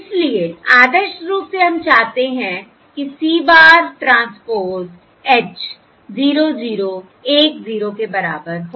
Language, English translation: Hindi, So ideally, we desire C bar transpose H equals 0, 0, 1 0